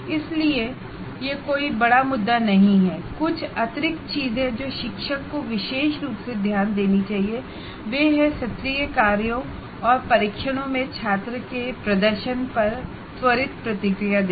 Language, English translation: Hindi, The only a few additional things, teachers should particularly pay attention to giving prompt feedback on student performance in the assignments and tests